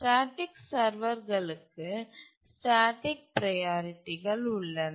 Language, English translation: Tamil, The static servers as the name says they have static priorities